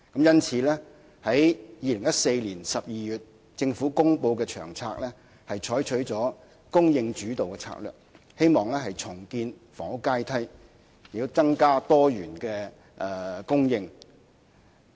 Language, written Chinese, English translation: Cantonese, 因此，政府在2014年12月公布的《策略》，採取了"供應主導"的策略，希望重建房屋階梯，並增加多元的供應。, Hence in the LTHS published in December 2014 the Government adopted a supply - led strategy to rebuild the housing ladder and increase the diversity of supply